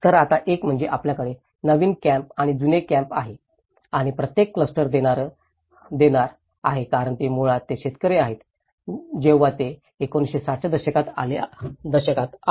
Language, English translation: Marathi, So, now, one is you have the new camps and the old camps and each cluster has been oriented because they are basically, the farmers in that time when they came to 1960s